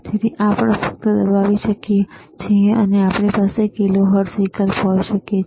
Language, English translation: Gujarati, So, we can just press and we can have kilohertz option